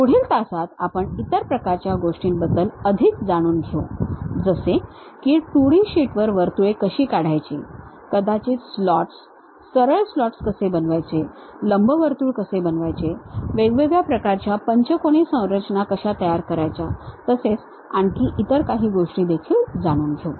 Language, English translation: Marathi, So, in the next class we will learn more about other kind of things like how to draw circles on 2D sheets perhaps something like slots, straight slot how to construct it, how to construct ellipse, how to construct different kind of pentagonal kind of structures and other things